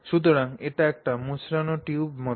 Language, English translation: Bengali, So, this is like a twisted tube